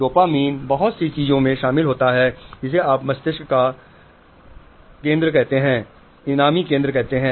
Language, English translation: Hindi, Dopamine is involved in lot of things which you call the reward center of the brain